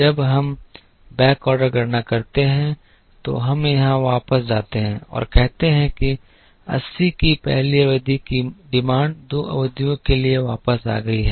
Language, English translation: Hindi, When we do the backorder calculation we go back here and say that the first period demand of 80 is backordered for two periods